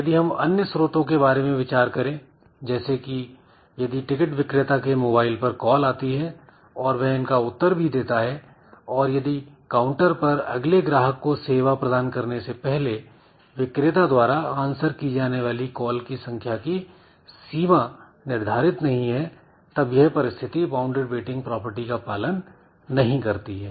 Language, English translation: Hindi, Now if we assume that there are other sources like there are some mobile calls coming to the ticket vendor and then the person is attending to those calls also and there is no bound on the number of mobile calls that the vendor will attend to before serving the next customer in the counter so then this bounded weighting condition is not satisfied